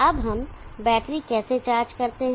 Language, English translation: Hindi, Now how do we charge the battery